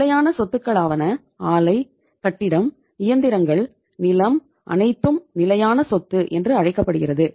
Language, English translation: Tamil, Fixed assets plant, building, machinery, land everything is called as the fixed asset